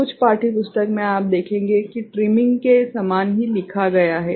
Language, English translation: Hindi, In some textbook, you will see that is same as written as trimming